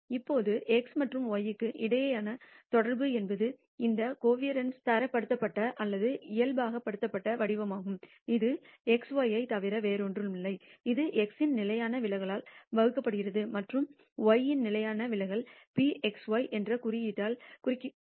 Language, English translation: Tamil, Now, the correlation between x and y is the standardized or normalized form of this covariance which is nothing but sigma x y divided by the standard deviation of x and the standard deviation of y this is denoted by the symbol rho x y